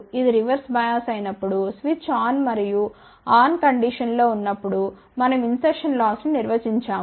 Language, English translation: Telugu, When this is reverse bias, then switch is on and in on condition we defined as insertion loss